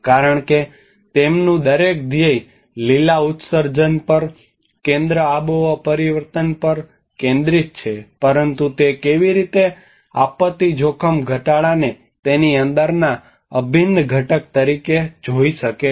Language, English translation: Gujarati, Because their each mission is focused on the green emissions, on climate change, in but how they are able to see the disaster risk reduction as one of the integral component within it